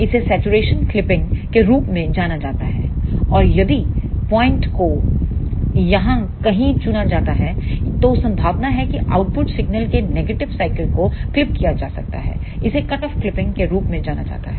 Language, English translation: Hindi, This is known as the saturation clipping and if the point is chosen somewhere here then there are chances that the negative cycle of the output signal may get clipped this is known as the cutoff clipping